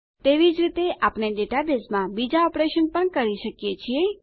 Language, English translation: Gujarati, In a similar manner, we can perform other operations in the database too